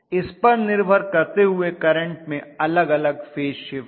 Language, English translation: Hindi, Depending upon that the currents are going to have different phase shifts